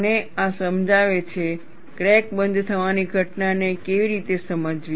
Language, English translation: Gujarati, And this explains, how to understand the phenomena of crack closure